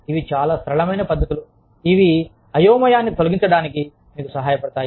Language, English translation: Telugu, But, these are very simple techniques, that help you clear this clutter